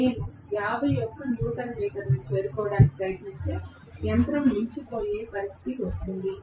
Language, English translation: Telugu, If, I try to reach 51 newton meter the machine will come to a standstill situation